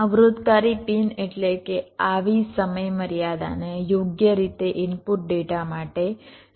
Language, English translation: Gujarati, ok, constrained pin means such timing constrained must have to be satisfied for the input data